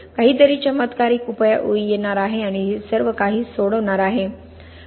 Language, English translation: Marathi, There is some kind of miracle solution is going to come and solve everything